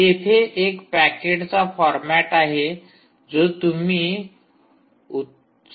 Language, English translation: Marathi, then there is a format, there is a packet format, format you can easily look up